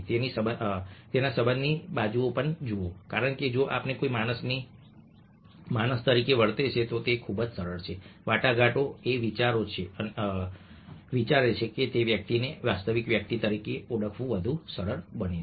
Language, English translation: Gujarati, look at the relationship side of it, because if we treat a human being as a human being, then it's much easier negotiating thinks, it's much easier coming across to that person as a genuine person